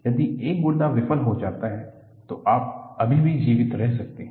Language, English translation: Hindi, If one kidney fails, you can still survive